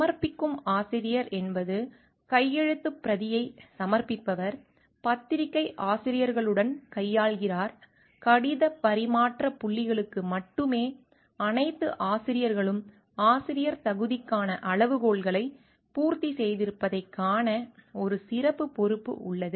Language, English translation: Tamil, Submitting author is one who submits the manuscript, deals with journals editors, only points of correspondence, owns a special responsibility to see that all authors have fulfilled the criteria for authorship, make sure that the special journal requirements are met